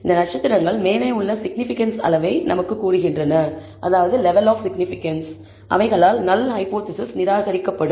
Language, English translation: Tamil, These stars tell us the significance level above, which the null hypothesis will be rejected